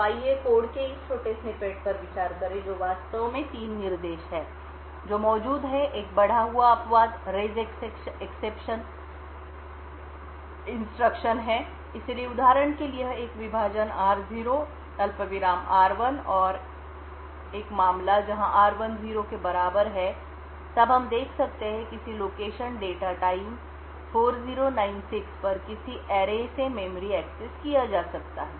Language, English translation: Hindi, So let us consider this small snippet of code there are in fact 3 instructions which are present, one is a raise exception instruction so this for example could be a divide r0, comma r1 and the case where r1 is equal to 0 then we have a memory access to an array at a location data times 4096